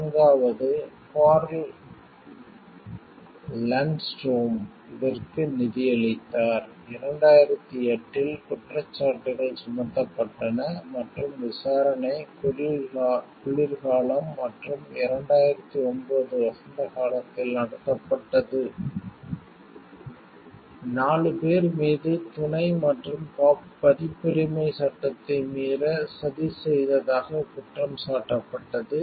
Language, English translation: Tamil, The fourth Carl Lundstrom helped finance it, charges were brought in 2008 and the trial was held in winter and spring 2009, the 4 are charged with accessory and conspiracy to break the copyright law